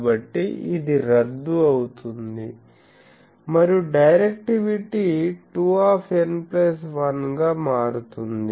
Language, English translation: Telugu, So, that cancels this and the directivity becomes 2 into n plus 1